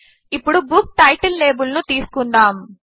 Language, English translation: Telugu, Let us first consider the Book Title label